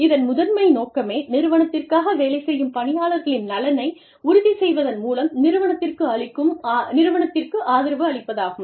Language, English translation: Tamil, Its primary purpose, is to support the organization, that the employees are working for, through ensuring, the welfare of the employees, who are working for the organization